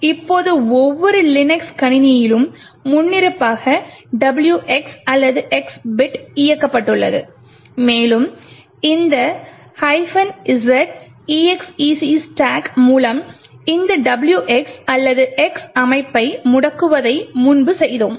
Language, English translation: Tamil, Now the WX or X bit by default is enabled in every Linux system and what we have done previously was to disable this WX or X setting with this minus Z exec stack